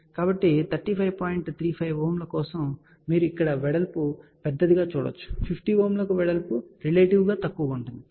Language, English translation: Telugu, 35 ohm you can see that the width is large here, for 50 ohm this width is relatively small